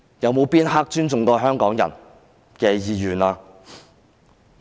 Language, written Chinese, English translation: Cantonese, 有哪一刻是尊重香港人意願的？, When is the wish of Hong Kong people ever respected?